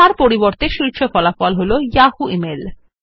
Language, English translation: Bengali, Instead the top result is Yahoo mail